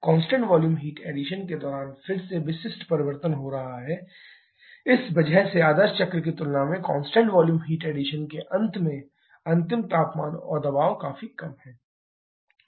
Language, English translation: Hindi, During constant volume heat addition again specific is changing, because of that the final temperature and pressure at the end of constant volume heat addition is significantly lower compared to the ideal cycle